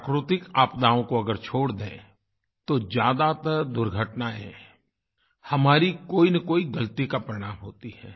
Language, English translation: Hindi, Leave aside natural disasters; most of the mishaps are a consequence of some mistake or the other on our part